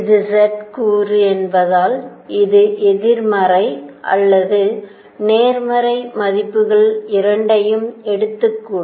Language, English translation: Tamil, And since this is z component it could take negative or positive values both